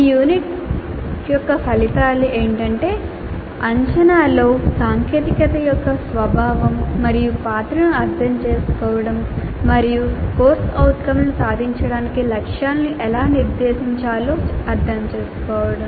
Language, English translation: Telugu, The outcomes for this unit are understand the nature and role of technology in assessment and understand how to set targets for attainment of COs